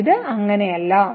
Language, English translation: Malayalam, But this is not the case